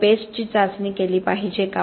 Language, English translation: Marathi, Should we be testing pastes